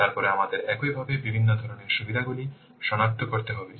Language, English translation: Bengali, Then we have to similarly identify the different types of benefits